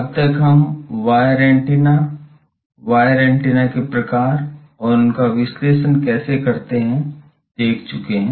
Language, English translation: Hindi, Now we have seen up till now wire antennas, here types of wire antennas and how to analyze them